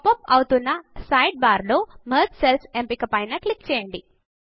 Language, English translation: Telugu, In the sidebar which pops up, click on the Merge Cells option